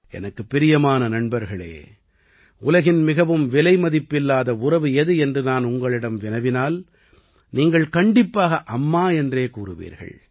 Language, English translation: Tamil, My dear friends, if I ask you what the most precious relationship in the world is, you will certainly say – “Maa”, Mother